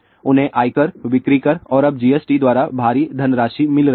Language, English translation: Hindi, They are getting huge money by income tax, sale tax and now GST